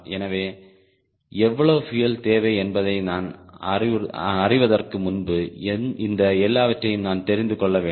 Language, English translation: Tamil, so i need to know all these things before i know how much fuel is required